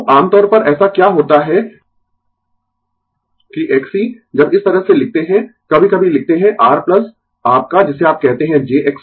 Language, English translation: Hindi, So, generally what happen that X c when we write like this, sometimes we write R plus your what you call j X c